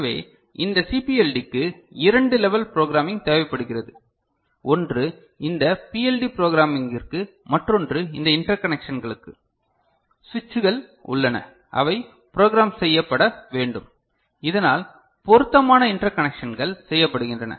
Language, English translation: Tamil, So, for which this CPLD requires two level of programming one is for this PLD programming another is for these interconnections, the switches are there they need to be programmed so that appropriate interconnections are made